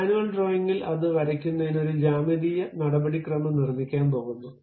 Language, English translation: Malayalam, At manual drawing, we are going to construct a geometric procedure to draw that